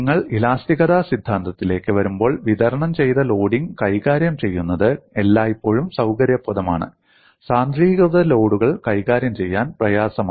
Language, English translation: Malayalam, When you come to theory of elasticity, it is always convenient to handle it distributed loading; concentrated loads are difficult to handle